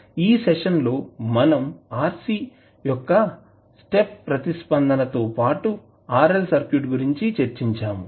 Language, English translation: Telugu, In this session we discussed about the step response of RC as well as RL circuit